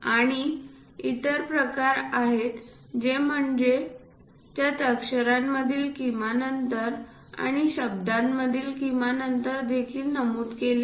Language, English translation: Marathi, And there are other varieties like minimum spacing of base characters, and also minimum spacing between words are also mentioned